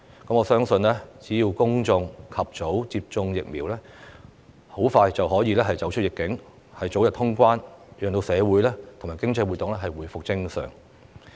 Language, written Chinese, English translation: Cantonese, 我相信只要公眾及早接種疫苗，香港很快便可以走出"疫"境，早日恢復通關，讓社會和經濟活動回復正常。, I believe as long as the public get vaccinated early Hong Kong will overcome the epidemic very soon borders will reopen before long and normal social and economic activities will be restored